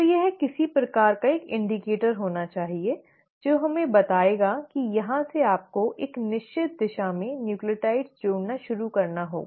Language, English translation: Hindi, So it has to have some sort of an indicator which will tell us that from here you need to start adding nucleotides in a certain direction